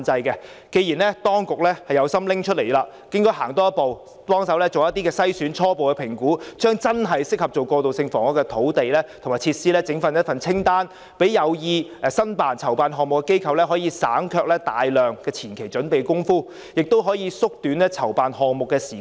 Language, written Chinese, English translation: Cantonese, 既然當局有心撥出土地，便應多走一步，協助進行篩選及初步評估，把真正適合用作過渡性房屋的土地和設施整理成一份清單，讓有意籌辦項目的機構省卻大量前期準備工夫，亦可縮短籌辦項目的時間。, As the Administration genuinely wants to make these lands available it should go one step further and provide assistance in their selection and initial assessment by compiling a list of lands and facilities that are really suitable for use as transitional housing . This will save organizations planning to initiate projects a lot of initial preparatory work . The time needed to plan an initiative will also be shortened